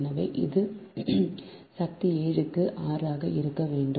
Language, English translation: Tamil, so it is equal to two r, right